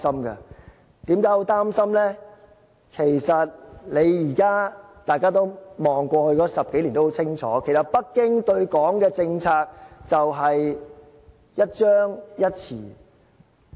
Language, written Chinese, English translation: Cantonese, 回看過去10多年，大家都很清楚，北京對港的政策就是，一張一弛。, If we look back at the past 10 years we will see very clearly that Beijings policy towards Hong Kong has been one of alternating sternness and latitude